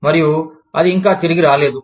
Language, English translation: Telugu, And, it had not yet, come back